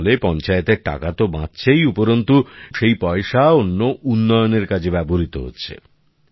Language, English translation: Bengali, The money saved by the Panchayat through this scheme is being used for other developmental works